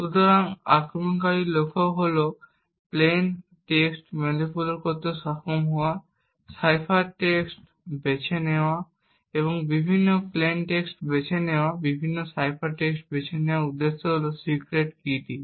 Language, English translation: Bengali, Now the goal of the attacker over here is to be able to manipulate the plain text, cipher text choose different plain text choose different cipher text with the objective of identifying what the secret key is